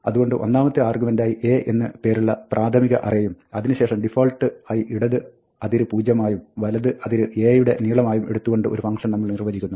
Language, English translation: Malayalam, So, it would be tempting to say that, we define the function as something which takes an initial array A as the first argument, and then, by default takes the left boundary to be zero, which is fine, and the right boundary to be the length of A